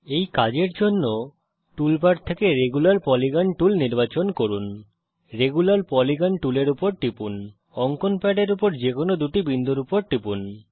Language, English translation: Bengali, To do this let us select the Regular Polygon tool from the tool bar click on the Regular Polygon tool click on any two points on the drawing pad